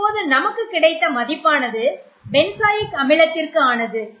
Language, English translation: Tamil, If you have not identified this molecule this molecule is benzoic acid